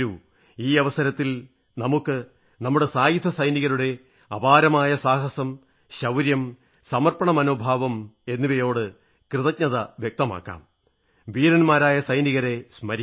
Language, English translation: Malayalam, On this occasion, let us express our gratitude for the indomitable courage, valour and spirit of dedication of our Armed Forces and remember the brave soldiers